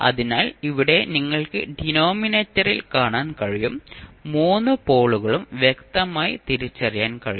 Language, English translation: Malayalam, So, here you can see in the denominator, you can clearly distinguish all three poles